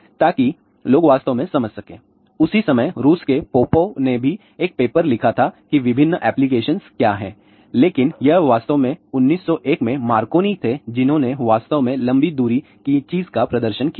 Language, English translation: Hindi, So, that people can really understand; what are the different application around that time only Popov from Russia, he also wrote a paper, but it was actually Marconi in 1901 who really demonstrated a long distance thing